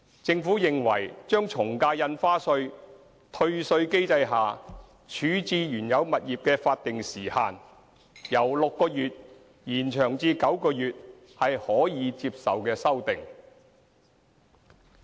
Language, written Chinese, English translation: Cantonese, 政府認為把從價印花稅退稅機制下處置原有物業的法定時限由6個月延長至9個月是可接受的修訂。, The Government considers that the proposal to extend the statutory time limit for disposal of the original property under the ad valorem stamp duty refund mechanism from six months to nine months is an acceptable amendment